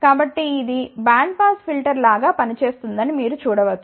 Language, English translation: Telugu, So, you can see that this is acting like a band pass filter ok